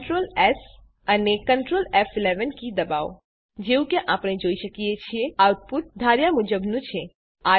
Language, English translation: Gujarati, Press Ctrl S and Ctrl F11 keys As we can see, the output is as expected